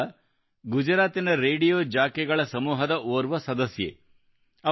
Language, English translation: Kannada, RJ Ganga is a member of a group of Radio Jockeys in Gujarat